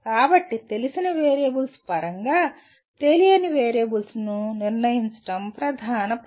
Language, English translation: Telugu, So the major task is to determine the unknown variables in terms of known variables